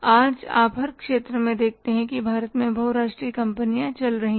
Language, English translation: Hindi, So, do you see in every sector there are the multinational companies operating in India